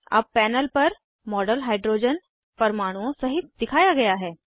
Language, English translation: Hindi, The model on the panel is now displayed with hydrogen atoms